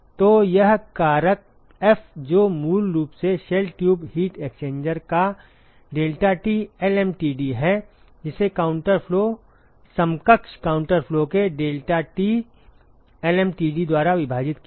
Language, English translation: Hindi, So this factor F which is basically the deltaT lmtd of the shell tube heat exchanger divided by deltaT lmtd of a counter flow equivalent counter flow ok